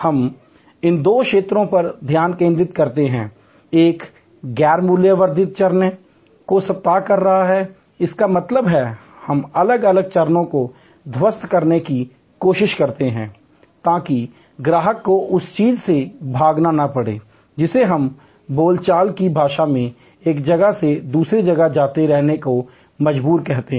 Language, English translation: Hindi, We focus on these two areas, one is eliminating a non value adding steps; that means, we try to collapse different stages, so that the customer does not have to run from what we colloquially call pillar to post